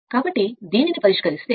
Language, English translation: Telugu, So, from which if you solve, you will get R is equal to 7